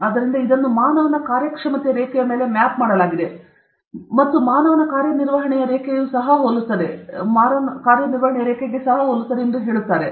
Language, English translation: Kannada, So, this has been mapped on to a human performance curve and they say human performance curve also resembles this